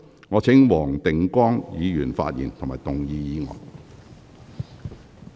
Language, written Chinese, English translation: Cantonese, 我請黃定光議員發言及動議議案。, I call upon Mr WONG Ting - kwong to speak and move the motion